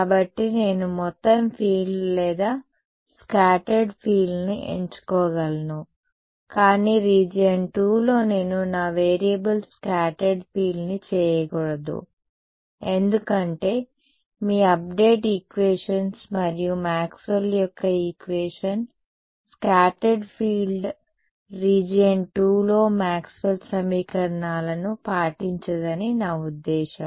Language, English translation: Telugu, So, I can choose the total field or the scattered field, but in region II I should not make my variable scattered field, because your update equations and I mean Maxwell’s equation scattered field does not obey Maxwell’s equations in the region II